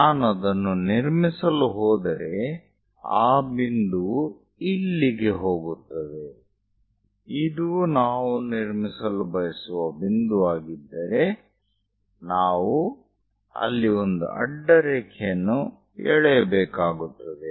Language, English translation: Kannada, So, if I am going to construct it, that point goes somewhere here; if this is the point where we want to construct, we have to drop a horizontal line there